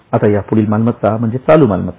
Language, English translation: Marathi, Now, the next one is current assets